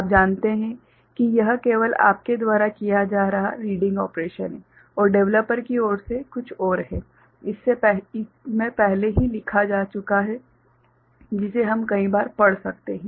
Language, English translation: Hindi, you know it is the reading operation only that you are doing and from the developer side something is has already been written into it which we can read multiple times